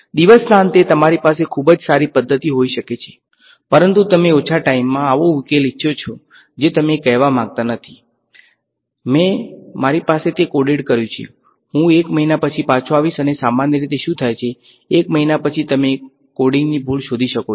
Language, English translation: Gujarati, At the end of the day you may have a very good method, but you want a solution that comes to within reasonable time you do not want to say, I have coded it I have, I will come back after one month and usually what happens after 1 month is you discover the coding mistake